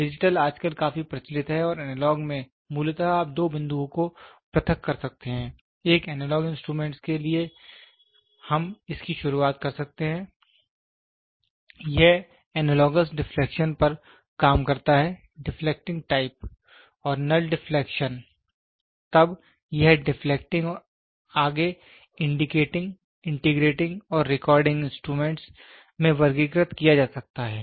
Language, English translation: Hindi, Digital is today very popular and analog is basically you can discretize between even between two points; we can start doing for a analogous instrument, this analogous works on deflection, deflecting type and null deflection, then this deflecting can be further classified into indicating, integrating and recording instruments